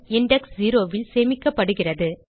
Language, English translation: Tamil, The first element is stored at index 0